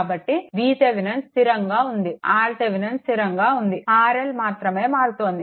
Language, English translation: Telugu, So, V Thevenin is fixed R Thevenin is fixed only R L is changing